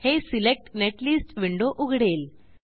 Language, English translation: Marathi, Here the netlist window opens